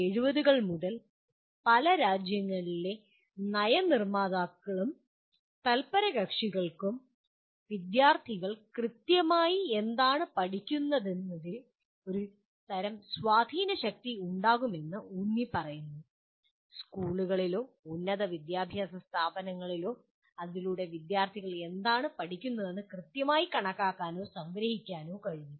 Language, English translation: Malayalam, Policy makers and stakeholders in several countries since 1970s have been emphasizing to have a kind of a grip on what exactly are the students learning in schools or in higher education institutions so that one can kind of quantify or kind of summarize what exactly the students are learning